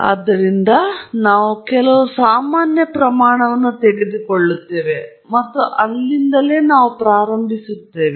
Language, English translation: Kannada, So, we will take some common quantities and we will start with that